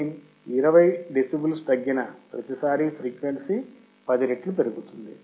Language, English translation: Telugu, If gain is decreased by 20 decibels, each time the frequency is increased by 10